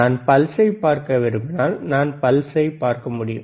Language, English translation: Tamil, If I want to see the pulse, then I can see the pulse, right